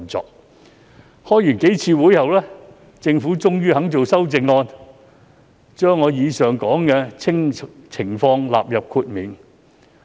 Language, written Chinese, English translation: Cantonese, 召開數次會議後，政府終於肯提出修正案，將上述情況納入豁免。, After several meetings the Government has eventually agreed to propose an amendment to exclude the above situations